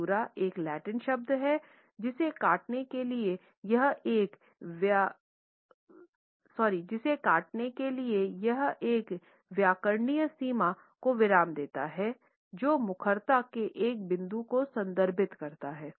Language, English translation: Hindi, Caesura is a Latin word for cutting it suggests the break a grammatical boundary a pause which refers to a point of articulation